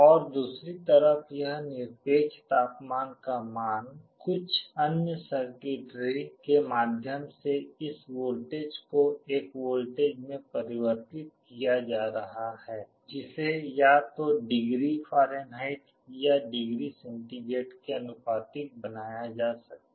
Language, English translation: Hindi, And on the other side this absolute temperature value, this voltage through some other circuitry is being converted into a voltage that can be made proportional to either degree Fahrenheit or degree centigrade